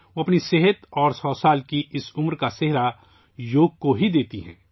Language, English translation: Urdu, She gives credit for her health and this age of 100 years only to yoga